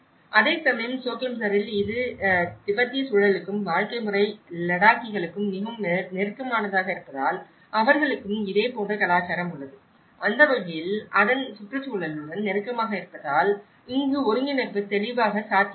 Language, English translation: Tamil, Whereas, in Choglamsar because it is very close to the Tibetan environment and the way of lifestyle and the Ladakhis also they have a similar culture, in that way assimilation was clearly possible here because of its close proximity to its environment